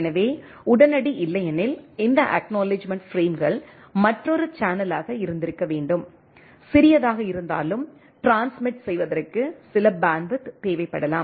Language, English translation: Tamil, So, instant otherwise this acknowledgement frames should have been another channel right; however, small it may be it requires some bandwidth to transmit right